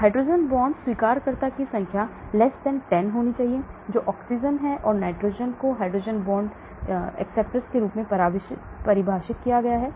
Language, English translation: Hindi, Number of hydrogen bond acceptors <10, that is oxygen and nitrogen are defined as hydrogen bond acceptors